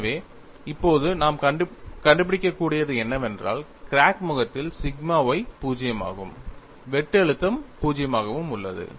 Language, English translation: Tamil, So, what we are able to now, show, is, on the crack phase, sigma y is 0 as well as shear stress is 0